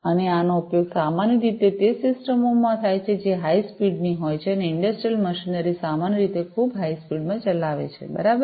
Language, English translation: Gujarati, And, this is typically used in systems which are of high speed and industrial machinery typically you know operate in very high speed, right